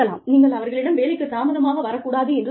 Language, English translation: Tamil, You tell them, not to come to work, late